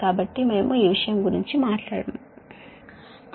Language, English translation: Telugu, so we will not talk about this thing